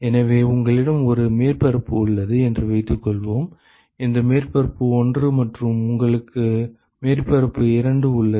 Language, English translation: Tamil, So, supposing you have one surface, this surface 1 and you have surface 2 ok